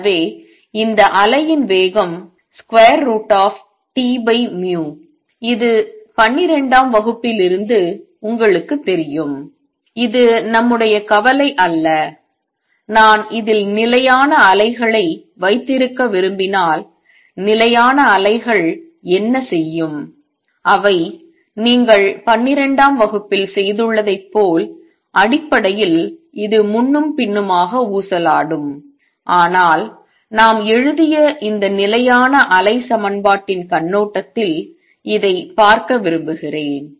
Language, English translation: Tamil, So, this speed of wave is square root of T over mu this you know from twelfth grade that is not our concern, if I want to have to stationary waves on this and what would stationary waves do, they will basically oscillate back and forth this you have done in the twelfth, but I want to see this from the perspective of these stationary wave equation that we have written